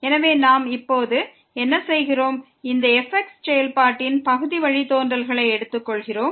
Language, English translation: Tamil, So, what we are now doing we are taking the partial derivatives of this function